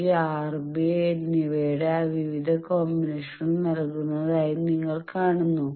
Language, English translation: Malayalam, You see that we have given various combinations of this R and b